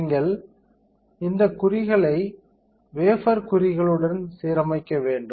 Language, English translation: Tamil, You have to align these marks, with the marks on the wafer